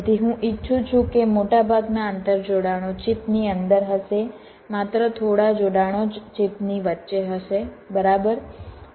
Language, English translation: Gujarati, so i would like most of the inter connections would be inside the chip